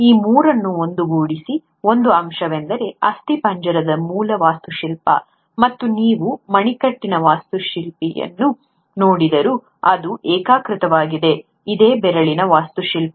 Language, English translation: Kannada, One thing which unites these three is the basic architecture of the skeleton, and that is unified, whether you look at the wrist architecture, the finger architecture